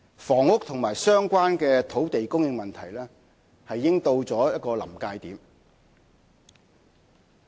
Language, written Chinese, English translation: Cantonese, 房屋和相關的土地供應問題已經到了臨界點。, The problem of housing and land supply has reached a critical point